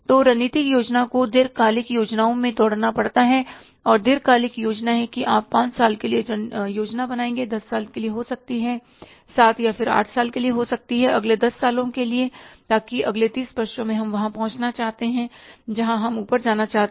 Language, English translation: Hindi, And the long term plans is you will say plan for five years, then or maybe for the 10 years or seven or eight years, then for the next 10 years, for the next 10 years, so that in the next 30 years we want to reach there where we want to go up